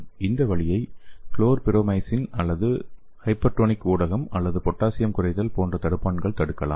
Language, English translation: Tamil, And this route can be blocked by inhibitors like chlorpromazine or a hypertonic medium or potassium depletion